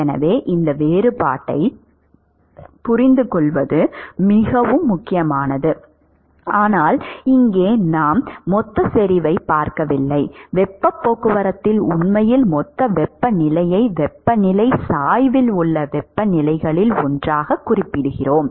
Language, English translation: Tamil, So, it is very important to understand this distinction that here we are not looking at bulk concentration whereas; in heat transport can actually specify bulk temperature as one of the temperatures in the temperature gradient